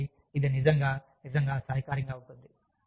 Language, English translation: Telugu, So, that is really, really helpful